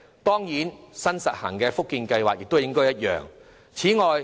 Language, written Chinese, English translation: Cantonese, 當然，新實行的福建計劃亦應有相同的安排。, The same arrangement should of course be applicable also to the newly introduced Fujian Scheme